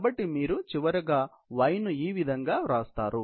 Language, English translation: Telugu, So, that is how you describe the y